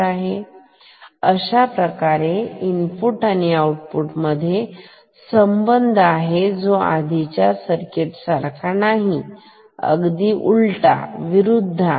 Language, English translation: Marathi, So, there is a correlation between the input and output unlike the previous circuit where the thing was reversed